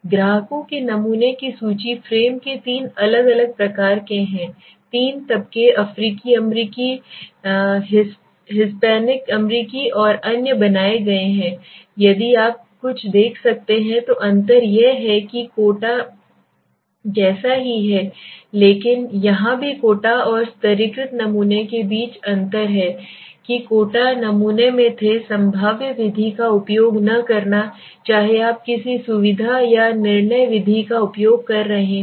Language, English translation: Hindi, The list of clients sampling frame right so from there three different kinds of clients have been three strata s have been built African American, Hispanic American and others okay the difference between if you can see something is similar to you like quota also but here the difference between the quota and the stratified sampling is that in the quota sampling you were not using probabilistic method whether you are using a convenience or judgmental method right